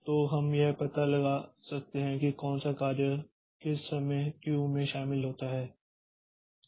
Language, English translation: Hindi, So, we can find out which job joined the queue at what time